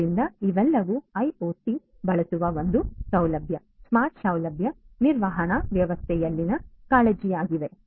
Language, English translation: Kannada, So, all of these and so on; so these are the concerns in a single facility smart facility management system using IoT